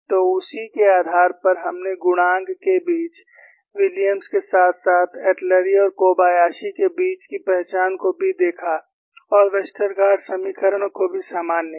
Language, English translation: Hindi, So, based on that, we have also looked at identity between the coefficients; between Williams as well as Atluri and Kobayashi and also generalized Westergaard equations